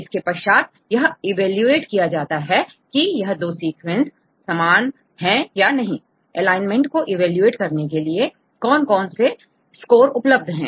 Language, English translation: Hindi, Then how to evaluate whether two sequences are similar or not, what are the various scores available to evaluate the alignment